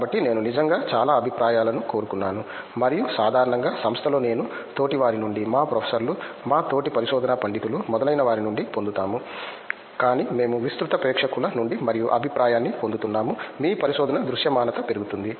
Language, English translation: Telugu, So, I really wanted so much of feedback and we are getting that usually in the institution will get it from lot of I mean peers, our professors, our fellow research scholars etcetera, but we are getting a research from a wider audience and the feedback who is really excellent, on top of that your research visibility increases